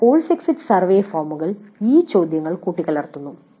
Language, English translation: Malayalam, So some course exit survey forms do mix up these questions